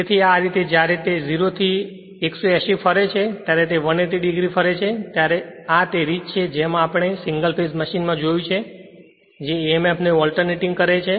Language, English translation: Gujarati, So, this way when it is revolving say 0 to your 180, when it rotates 180 degree this is the same way we have seen single phase machine that alternating emf